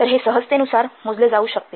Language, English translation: Marathi, So this can be measured